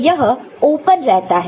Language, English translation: Hindi, So, this remains open